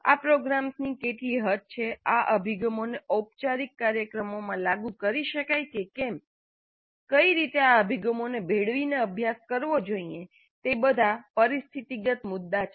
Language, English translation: Gujarati, Now what is the extent to which these programs, these approaches can be implemented, formal, informal programs, in which mix these approaches should be tried, all are situational issues